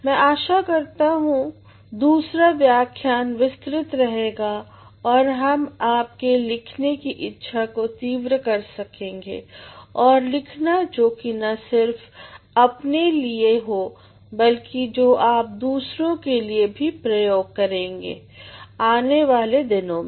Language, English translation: Hindi, I hope the second lecture will be detailed and we will sharpen your desire of writing and writing not only for yourself but for others which you are going to apply in the days to come